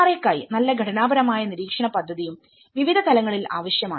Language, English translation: Malayalam, A well structured monitoring plan for the NRAs also needed at different levels